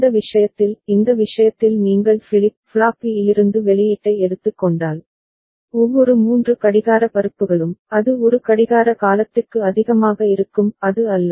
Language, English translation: Tamil, And in this case; in this case if you take the output from flip flop B ok, so every 3 clock pulses, it will remain high for one clock period is not it